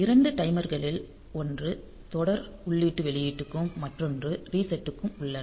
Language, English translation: Tamil, So, 2 timers 1 serial input output and the reset